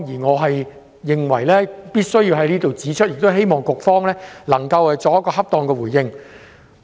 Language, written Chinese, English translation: Cantonese, 我認為必須在此指出這一點，希望局方可以作出恰當的回應。, I deem it necessary to point this out here in the hope that the Bureau could give an appropriate response